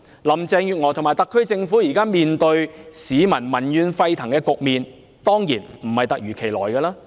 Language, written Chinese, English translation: Cantonese, 林鄭月娥及特區政府目前面對民怨沸騰的局面，當然並非突如其來。, Carrie Lam and the SAR Government are now facing seething public anger . Definitely this situation did not occur overnight